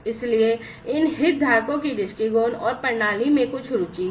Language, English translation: Hindi, So, these stakeholders have some interest in the viewpoints and the system